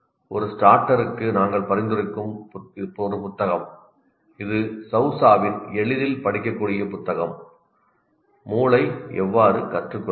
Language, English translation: Tamil, And one book that we'll recommend for a starter, it's a easily readable book by SOSA, How the Brain Learns